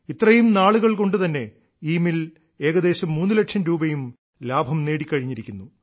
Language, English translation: Malayalam, Within this very period, this mill has also earned a profit of about three lakh rupees